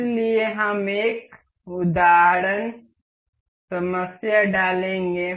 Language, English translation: Hindi, So, we will insert a example problem um do uh